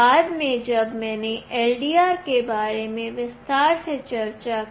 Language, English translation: Hindi, Later when I discussed about LDR in detail